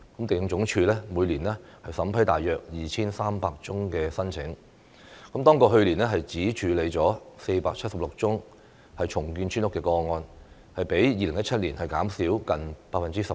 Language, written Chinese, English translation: Cantonese, 地政總署每年審批大約 2,300 宗申請，當局去年只處理了476宗重建村屋的個案，較2017年減少近 18%。, The Lands Department vets and approves some 2 300 applications each year and the authorities handled only 476 cases of redeveloping village houses last year a decrease of nearly 18 % compared with 2017